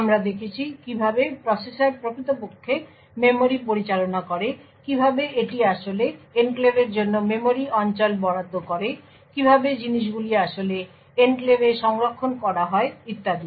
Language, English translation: Bengali, We looked at how the processor actually managed the memory, how it actually allocated memory regions for enclaves, how things were actually stored in the enclave and so on